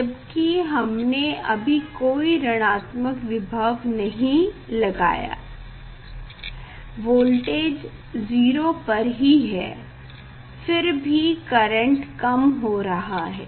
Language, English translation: Hindi, Even we are we have not applied any negative bias at 0 voltage this current is decreasing